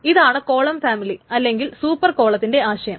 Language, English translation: Malayalam, So, the column family is this set of thing is also called a super column